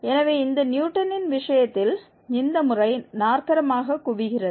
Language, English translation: Tamil, Moreover, in case of this Newton's, the method converges quadratically